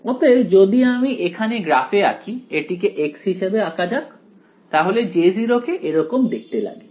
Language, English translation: Bengali, So, if I plot it over here; let us plot this as x, so J 0 looks something like this ok